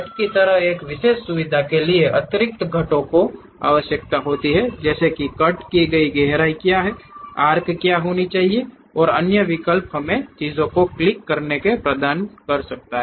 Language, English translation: Hindi, A specialized feature like cut requires additional components like what is the depth of cut, what should be the arc and other options we may have to provide by clicking the things